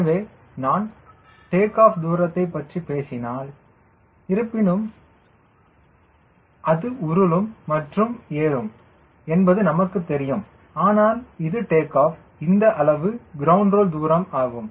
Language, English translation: Tamil, so if i am talking about, lets say, loosely takeoff distance, all though we know it rolls and climbs, and this is the takeoff lets say we are talking about this much ground roll, ground roll distance